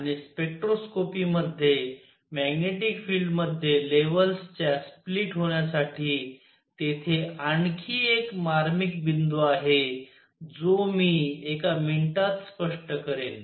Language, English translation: Marathi, And the spectroscopy there is one more subtle point for the splitting of levels in magnetic field which I will explain in a minute